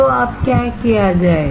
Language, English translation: Hindi, So, now what to do